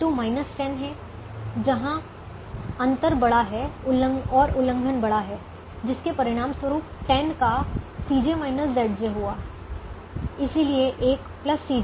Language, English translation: Hindi, v two is minus ten, where the gap is large and the violation is large, which has resulted in a positive c j minus z j of ten